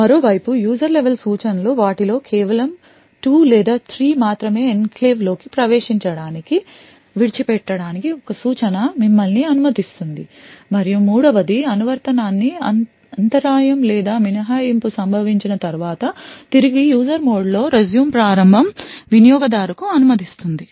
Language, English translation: Telugu, The user level instructions on the other hand mostly just 2 or 3 of them one instruction will permit you to enter into the enclave and other one will permit you to leave the enclave and the third one would know as a resume would permit an application in user mode to resume after a interrupt or exception has occurred